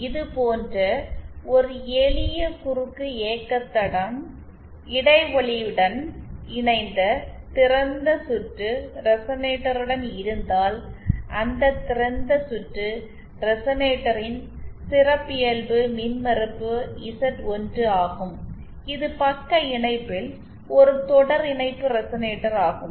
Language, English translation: Tamil, If we have a simple cross motion line like this with a filter with a gap coupled open circuit resonator, the characteristic impedance of that open circuit resonator is Z1 then this is a series resonator in shunt